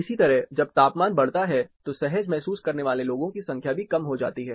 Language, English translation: Hindi, Similarly, when the temperature goes up, the number of people feeling comfortable also drops down